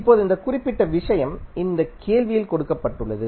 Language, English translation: Tamil, Now, this particular quantity is given in this question